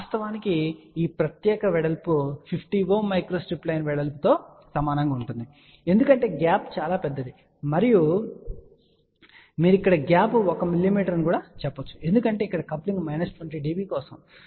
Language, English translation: Telugu, In fact, if this particular width is almost same as a micro strip line width 450 ohm ok, because the gap is relatively large you can say here the gap is 1 mm because the coupling is for minus 20 db